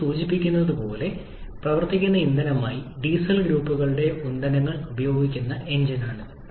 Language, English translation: Malayalam, As the name suggests, it is the engine which uses diesel group of fuels as the working fuel